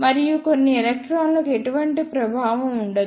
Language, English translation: Telugu, And there will be no effect for some electrons